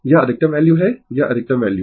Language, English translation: Hindi, This is the maximum value